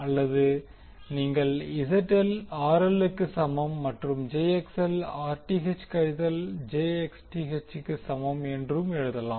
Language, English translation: Tamil, Or you can write ZL is equal to RL plus jXL is equal to Rth minus jXth